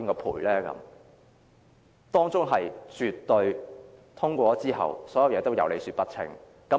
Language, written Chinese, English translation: Cantonese, 《條例草案》通過後，所有事情也絕對有理說不清。, After the passage of the Bill there will be no way to explain every case clearly